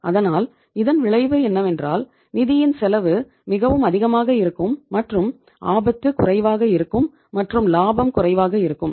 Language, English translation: Tamil, So what is going to be the result that the cost of the funds is going to be maximum and the risk is going to be minimum and the profitability is going to be minimum